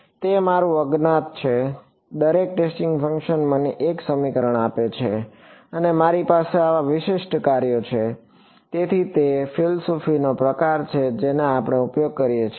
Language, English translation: Gujarati, That is my unknown every testing function gives me one equation and I have n such distinct functions; so, that is that is the sort of philosophy that we use